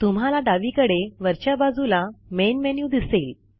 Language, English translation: Marathi, You can see the main menu on the top left hand side corner